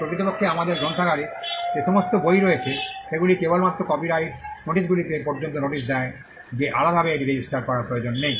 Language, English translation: Bengali, In fact, all the books that are there in our library, it just the copyright notices sufficient there is no need to separately register that